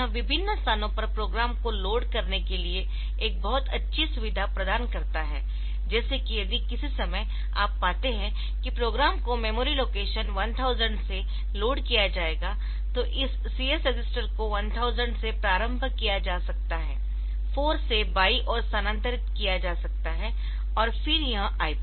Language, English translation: Hindi, So, if so this provides a very good facility for loading the program at different places like if you if you some point of time, you find that the program will be loaded from memory location 1000 then this CS register can be initialized to say to 1000 right shifted by 4 and then IP so that way it is the while actually running the program, so it will be left as CS will be left shifted by 4 bits